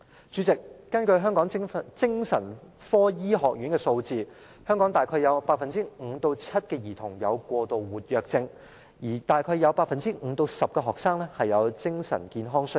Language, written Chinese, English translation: Cantonese, 主席，根據香港精神科醫學院的數字，香港大約有 5% 至 7% 兒童有過度活躍症，大約有 5% 至 10% 學生有精神健康需要。, President according to figures provided by the Hong Kong College of Psychiatrists about 5 % to 7 % of children in Hong Kong have been diagnosed with hyperactivity disorder and about 5 % to 10 % of local students are persons with mental health needs